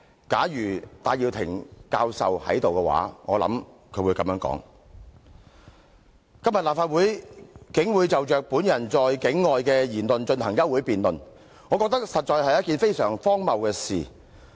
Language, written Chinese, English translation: Cantonese, 假如戴耀廷教授在這裏，我想他會這樣說：今天立法會竟會就着本人在境外的言論進行休會辯論，我覺得實在是一件非常荒謬的事。, If Prof Benny TAI were here I think he would say this Today the Legislative Council has unduly taken the step of debating a motion of adjournment related to the comments made by me outside the territory and in my opinion this is most ridiculous